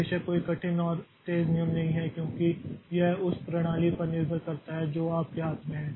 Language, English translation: Hindi, Of course there is no hard and first rule like it depends on the system that you have in your hand